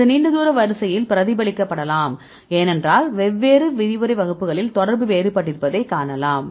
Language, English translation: Tamil, So, this can be reflected in the long range order because you can see the contacts are different in different lecture classes